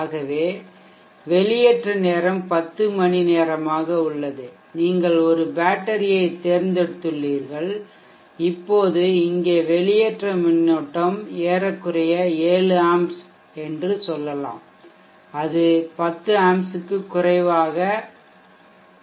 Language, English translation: Tamil, So let us say, I have discharge time as 10hours and you have chosen a battery, now the discharge current here would be at approximately let us say 7A it is not going to 10 A